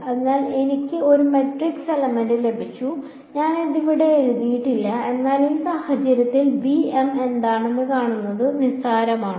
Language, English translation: Malayalam, So, I have got a matrix element and I did not write it over here, but it is trivial to see what is bm in this case